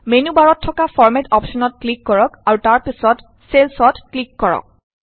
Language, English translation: Assamese, Now click on the Format option in the menu bar and then click on Cells